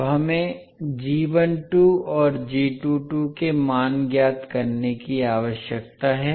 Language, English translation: Hindi, Now we need to find out the value of g12 and g22